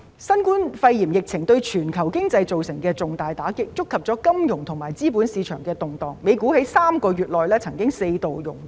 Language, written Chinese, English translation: Cantonese, 新冠肺炎疫情對全球經濟造成重大打擊，觸發了金融及資本市場的動盪，美股亦曾在3個月內四度熔斷。, The novel coronavirus pneumonia epidemic has dealt a major blow to the global economy and triggered turmoil in the financial and capital markets as evident by the fact that the United States stock market has experienced four melt - ups within three months